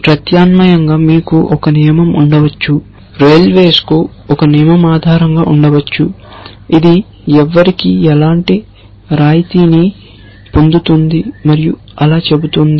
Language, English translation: Telugu, Alternatively you might have a rule, the railways might have a rule based which says who gets what kind of concession and so on so